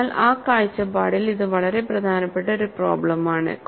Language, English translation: Malayalam, So, it is a very important problem, from that point of view